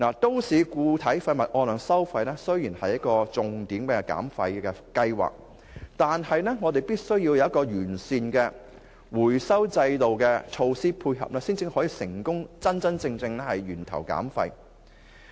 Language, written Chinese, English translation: Cantonese, 都市固體廢物按量收費雖是政府的重點減廢計劃，但我們亦必須有完善的回收制度和措施配合，才可真正成功做到源頭減廢。, Although the quantity - based municipal solid waste charging system is a major waste reduction programme rolled out by the Government we must have in place a complete recovery system and corresponding measures to truly achieve waste reduction at source